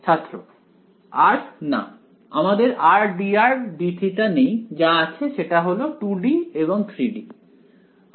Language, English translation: Bengali, r no, we have your not r d r d theta that is 2 D and 3 D